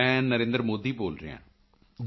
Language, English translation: Punjabi, This is Narendra Modi speaking